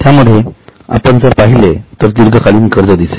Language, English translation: Marathi, In that, if you see A, it is long term borrowings